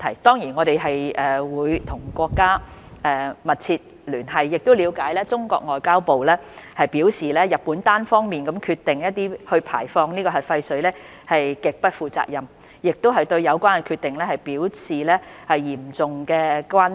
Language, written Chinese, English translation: Cantonese, 當然，我們會與國家密切聯繫，亦了解中國外交部已表示，日本單方面決定排放核廢水是極不負責任的做法，並對有關決定表示嚴重關切。, We will certainly maintain close liaison with our country . Also we realized that MFA has expressed grave concern about Japans unilateral decision to discharge nuclear wastewater which is an extremely irresponsible act